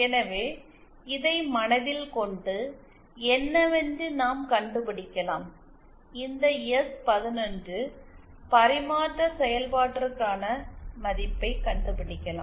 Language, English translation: Tamil, So, with this in mind, we can find out what are the, we can find out the value for this S 11 transfer function